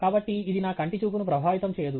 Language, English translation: Telugu, So, it doesnÕt affect my eye sight